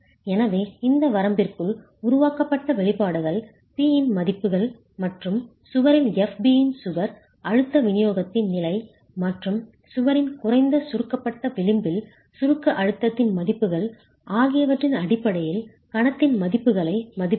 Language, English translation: Tamil, So make a calculations using the expressions developed within this range, estimate values of p and corresponding values of moment based on the condition in the wall, stress distribution in the wall FB and the reducing values of compressive stress in the lesser compressed edge of the wall itself